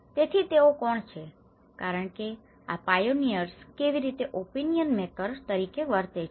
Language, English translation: Gujarati, So, who are these because these pioneers how the act as opinion makers